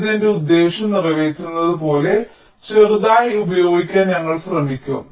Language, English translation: Malayalam, we will try to use it as small as it serves my purpose